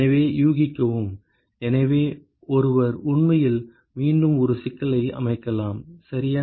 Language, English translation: Tamil, So, guess, so one could actually set up an iterative problem ok